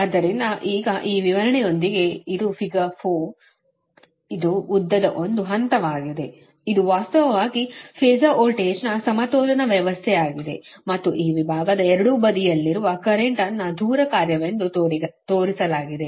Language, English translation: Kannada, so this one phase of the length, this is actually balance system, right, the phasor voltage and current on both side of this segment are shown as a function of distance